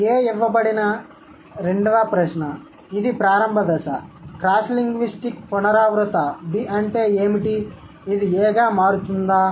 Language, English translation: Telugu, The second question, given A which is the initial stage, what are the cross linguistic recurrent B's that A may turn into